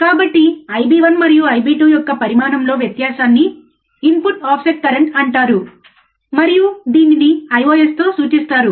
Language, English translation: Telugu, So, quickly again, the difference in the magnitude of I b 1 and I b 2 Ib1 and Ib2 is called input offset current, and is denoted by I ios,